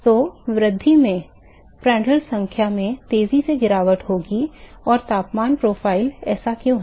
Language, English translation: Hindi, So, in increase Prandtl number will have a faster fall and temperature profile